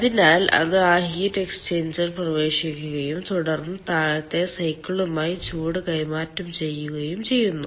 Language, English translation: Malayalam, so it enters in that heat exchanger and then exchanges heat with the bottoming cycle so that steam can be generated